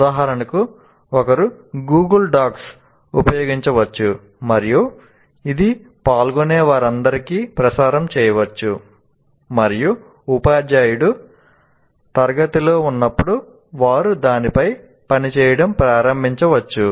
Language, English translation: Telugu, For example, one can use what you can call as Google Docs and it can be given to all the participants and they can start working on it while the teacher is presenting in the class